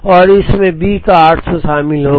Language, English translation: Hindi, So, it would involve 400 of A and it would involve 800 of B